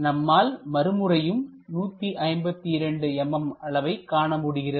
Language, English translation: Tamil, So, 152 mm again we will see